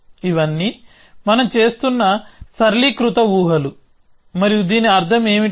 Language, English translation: Telugu, All these are simplifying assumptions that we are making and what do we mean by this